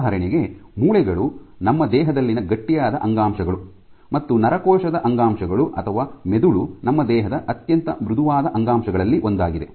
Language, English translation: Kannada, So, bones are of course, the stiffest tissues in our body and neuronal tissue or the brain is among the softest tissue in our body